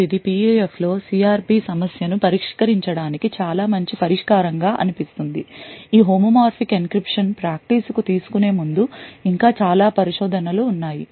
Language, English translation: Telugu, Now this seems like a very good solution for solving CRP problem in PUF, there are still a lot of research before actually taking this homomorphic encryption to practice